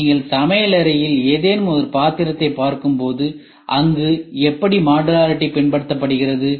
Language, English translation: Tamil, When you try to look at a utensil any utensil at kitchen see How modularity is followed